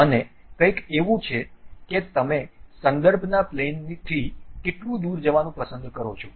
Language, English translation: Gujarati, And, there is something like how far you would like to really go from the plane of reference